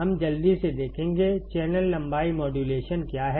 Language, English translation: Hindi, We will quickly see, what is channel length modulation